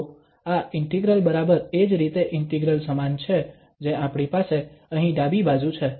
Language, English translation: Gujarati, So, this integral exactly, quite similar to the integral here we have on the left hand side